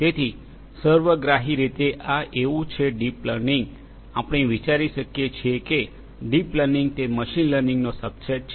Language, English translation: Gujarati, So, holistically you know it is like this that, deep learning you can think of is a subset of machine learning